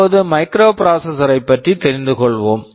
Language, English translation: Tamil, Let us now come to a microprocessor